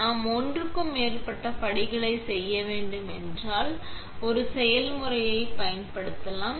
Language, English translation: Tamil, We could also use a recipe if we need to make more than one step